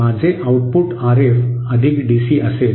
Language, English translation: Marathi, My Output will be RF + DC